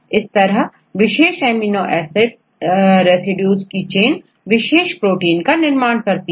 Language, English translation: Hindi, Likewise, you combine more and more amino acid residues and finally, they form the protein chain